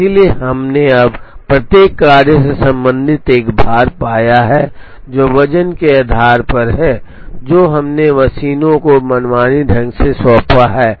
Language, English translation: Hindi, So, we have now found a weight associated with each job, based on the weights that we have arbitrarily assigned to the machines